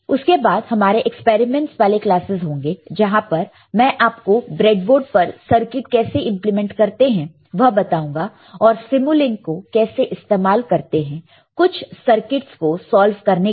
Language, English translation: Hindi, After that will have experiment classes where I will show you how to implement the circuit on breadboard, and how to use simulink to solve some of the to solve of the circuits ok